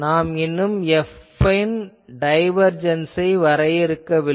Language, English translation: Tamil, So, minus or now, we have not defined the divergence of F